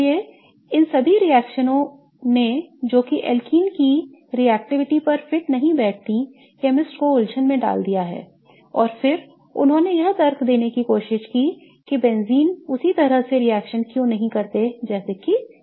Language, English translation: Hindi, So, all of these reactions that did not fit the reactivity of alkenes puzzled chemists and then they tried to reason why benzene doesn't react the same way as that of alkenes